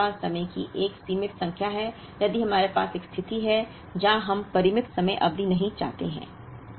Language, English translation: Hindi, If we have a finite number of periods: if we have a situation, where we do not want finite time period